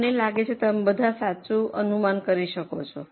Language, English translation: Gujarati, I think you are able to guess it correctly